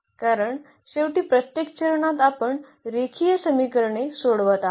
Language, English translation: Marathi, So, we need to solve again the system of linear equations